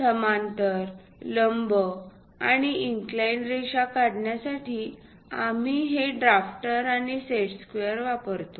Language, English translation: Marathi, To draw parallel, perpendicular, and inclined lines, we use these drafter along with set squares